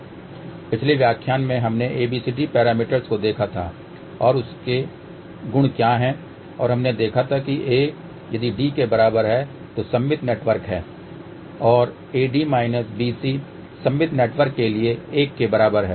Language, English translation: Hindi, In the previous lecture we had seen abcd parameters and what are its properties and we had seen that a is equal to d for symmetrical network and AD minus BC is equal to 1 for symmetrical network